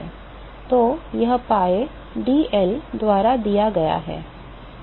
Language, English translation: Hindi, So, that is given by pi d L right